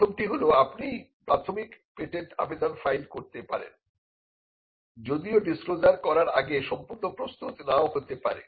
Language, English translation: Bengali, First is that you can file a provisional patent application though complete may not be ready before making the disclosure